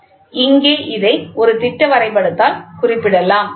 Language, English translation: Tamil, So, here this can be represented by a schematic diagram